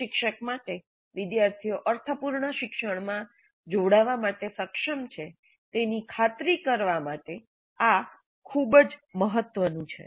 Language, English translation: Gujarati, This is very important to ensure that the instructor is able to engage the students in meaningful learning